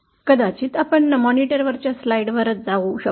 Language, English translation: Marathi, Maybe we can go to the slides on the monitor itself